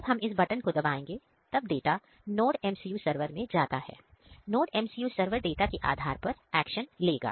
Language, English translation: Hindi, So, when we click on this one, it will send the data to a NodeMCU server, then NodeMCU server will take the action based on this data